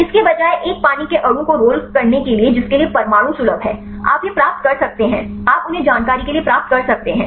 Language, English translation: Hindi, While rolling a water molecule instead how for the which atom is accessible right you can get this one you can get them for information